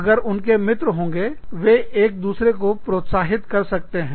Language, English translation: Hindi, If they have a friend, they can motivate, each other